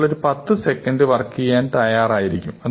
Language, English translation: Malayalam, So, maybe we are willing to work up to 10 seconds